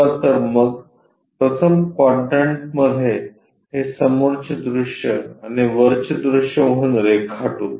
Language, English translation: Marathi, Let us draw it as a front view and top view in the first quadrant